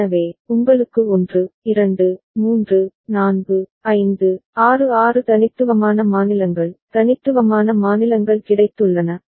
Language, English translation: Tamil, So, you have got 1, 2, 3, 4, 5, 6 6 unique states, unique states after which it repeats